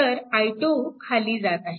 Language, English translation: Marathi, So, from this i 2 is known